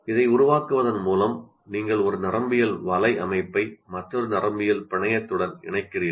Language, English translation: Tamil, By creating this, once again, you are interconnecting one neural network to another neural network